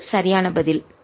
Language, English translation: Tamil, that's the right answer